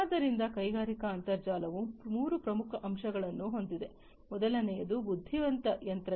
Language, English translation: Kannada, So, the industrial internet has three key elements, the first one is that intelligent machines